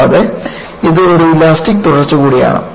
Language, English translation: Malayalam, And, it is also an elastic continuum